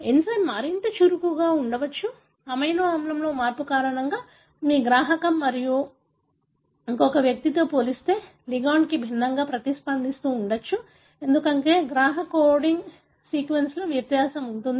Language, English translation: Telugu, The enzyme may be more active, because of a change in an amino acid, your receptor may be responding to a ligand differently as compared to another individual, because there is a variation in the coding sequence of the receptor